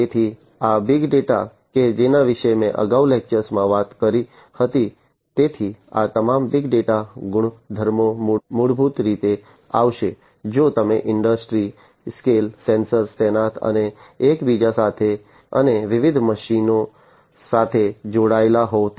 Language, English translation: Gujarati, So, this big data that I talked about in a previous lecture so, all these big data properties are basically going to come if you are going to have industry scale sensors deployed and connected to one another and to different machines and so on